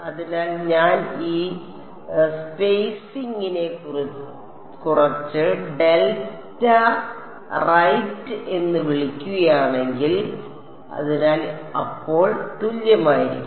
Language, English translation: Malayalam, So, if I call this spacing to be some delta right; so, then W 1 prime x is going to be equal to